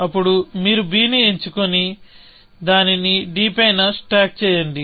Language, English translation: Telugu, You just pick up b and stack on to d